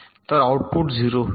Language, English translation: Marathi, so the output will be zero, right